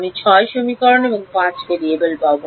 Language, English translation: Bengali, So, I will get one extra equation I will get six equation and five variable